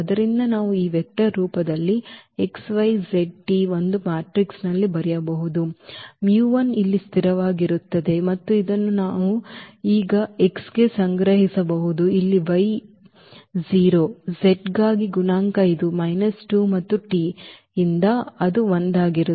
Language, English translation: Kannada, So, we can write down in a matrix in this vector form x, y, z, t will be this mu 1 the constant here and this we can collect now for x, x is one the coefficient here for y it is 0, for z it is minus 2 and from t it is 1